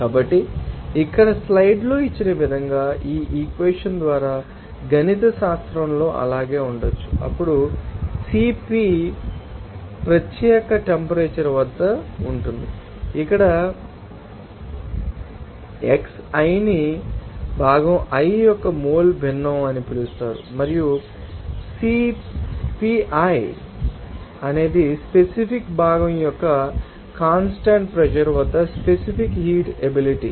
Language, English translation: Telugu, So, it can be retained mathematically by this equation as given in the slide here then CP is at particular temperature that will be called Here xi is called mole fraction of component i and Cpi is the specific heat capacity at constant pressure of that particular component